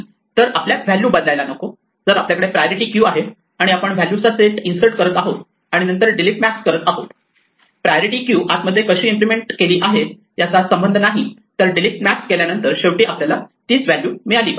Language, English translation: Marathi, So, we do not want the values to change, if we have a priority queue and we insert a set of values and then delete max no matter how the priority queue is actually implemented internally the delete max should give us the same value at the end